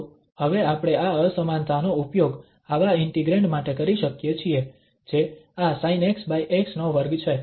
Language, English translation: Gujarati, So we can now use this inequality to get such integrand which is the square of this sin x over x